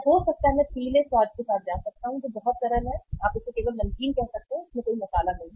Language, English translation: Hindi, Or maybe I can go with the yellow taste which is very simple uh you can call it as only salted, no spice in that